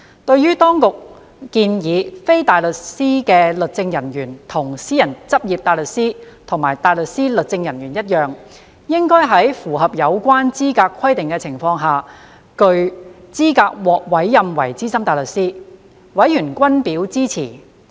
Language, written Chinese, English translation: Cantonese, 對於政府當局建議，非大律師律政人員跟私人執業大律師及大律師律政人員一樣，應在符合有關資格規定的情況下具資格獲委任為資深大律師，委員均表支持。, Members have expressed support to the proposal that same as barristers in private practice and legal officers who are barristers legal officers should be eligible to be appointed as SC provided that the eligibility requirements are satisfied